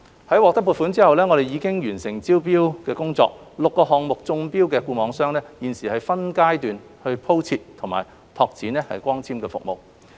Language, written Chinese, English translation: Cantonese, 在獲得撥款後，我們已完成招標工作 ，6 個項目中標的固網商現正分階段鋪設和拓展光纖網絡。, After securing the funding six fixed network operators FNOs selected through tender are laying and extending the fibre - based networks in phases